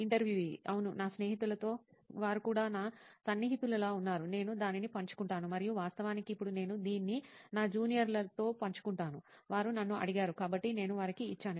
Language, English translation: Telugu, Yeah, like my friends, they were like close friends of mine, I used to share it and in fact now I’ve shared it with my juniors since, they asked me for it, so I have given it to them